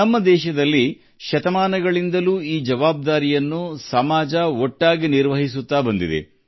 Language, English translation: Kannada, In our country, for centuries, this responsibility has been taken by the society together